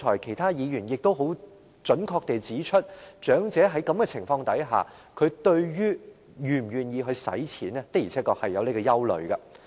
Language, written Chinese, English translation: Cantonese, 其他議員剛才亦很準確地指出，長者在這情況下，對於是否願意花錢確實存在憂慮。, As rightly pointed out by other Members earlier on under this circumstance the elderly do have concerns about making spendings